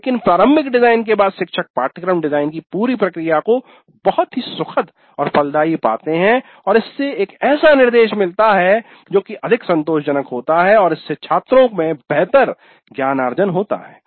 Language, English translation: Hindi, But after the initial design, the teacher would even find the entire process of course is very pleasant, fruitful and it would lead to an instruction which is more satisfactory and it would lead to better student learning